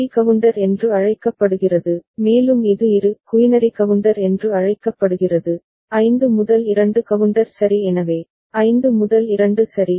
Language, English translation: Tamil, So, this is called BCD counter, and this is called bi quinary counter, 5 2 counter ok so, 5 2 right